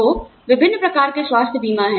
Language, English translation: Hindi, So, various types of health insurance are there